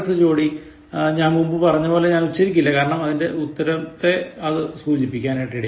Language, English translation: Malayalam, The next pair, which again I said, I will not pronounce because again the pronunciation, sort of gives away the answer